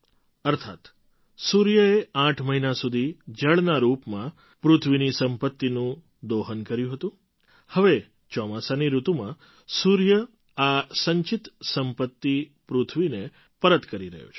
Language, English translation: Gujarati, That is, the Sun has exploited the earth's wealth in the form of water for eight months, now in the monsoon season, the Sun is returning this accumulated wealth to the earth